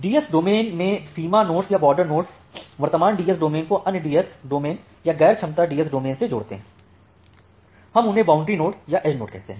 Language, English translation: Hindi, Now in a DS domain, the boundary nodes or the border nodes, they interconnects the current DS domain to other DS domain or non capability DS domain, we call them as the boundary nodes or the edge nodes